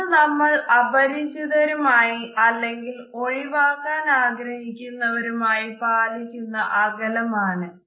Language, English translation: Malayalam, We maintain this distance from strangers and those people with whom we are not very even familiar or even people we want to avoid